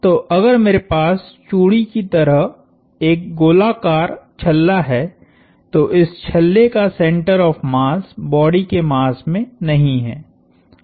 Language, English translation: Hindi, So, if I have a hoop of a circular hoop like a bangle, the center of mass of this hoop is not in the mass of the body itself